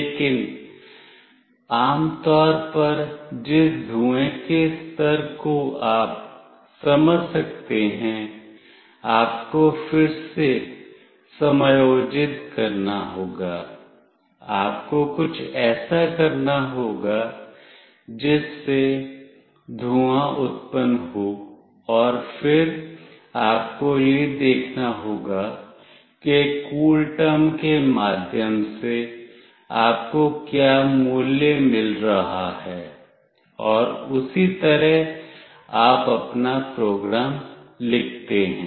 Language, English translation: Hindi, But generally the level of the smoke you can understand, you have to again calibrate, you have to do something such that smoke gets generated and then you have to see what value you are receiving through CoolTerm and accordingly you write your program